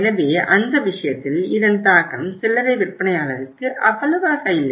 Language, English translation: Tamil, So it means in that case the impact is not that much to the company it is to the retailer